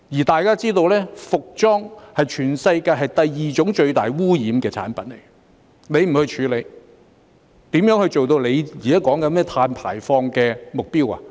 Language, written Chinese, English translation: Cantonese, 大家也知道，服裝是全世界第二種最大污染的產品，他不去處理，如何做到他現在說的碳排放目標？, As we all know clothing is the second most polluting product in the world and when he does not do anything about it how can he achieve the carbon emission targets that he is talking about now?